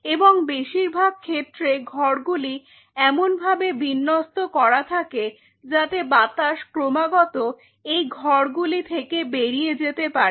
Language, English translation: Bengali, And most of these rooms are being arraigned in a way that the air is being continuously pumped out of these rooms